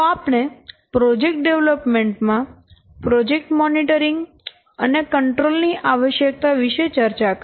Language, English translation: Gujarati, So, finally we have discussed the importance and the need of project monitoring and control in project development